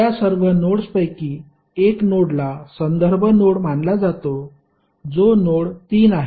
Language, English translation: Marathi, Out of all those nodes one node is considered as a reference node that is node 3